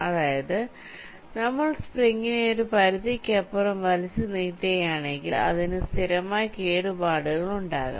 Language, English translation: Malayalam, see, if you pull this spring beyond a certain limit, then some permanent damage might take place in the material